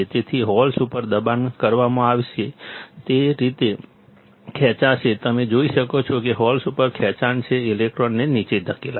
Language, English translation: Gujarati, So, holes will be pushed up, it will be pulled up; you see holes will be pulled up, electrons will be pushed down